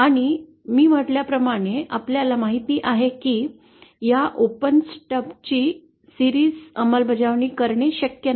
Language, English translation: Marathi, And as I said you know series implementation of this open stub is not possible